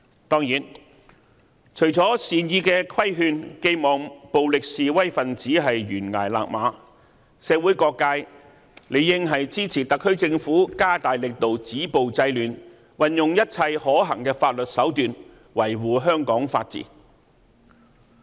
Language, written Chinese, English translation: Cantonese, 當然，除了善意的規勸，寄望暴力示威分子懸崖勒馬，社會各界理應支持特區政府加大力度止暴制亂，運用一切可行法律手段，維護香港法治。, Of course apart from giving violent protesters well - intentioned advice in the hope that they will stop their violent acts before it is too late every sector in society should support the SAR Governments taking of stronger actions to stop violence and curb disorder and to uphold the rule of law in Hong Kong by adopting every feasible legal means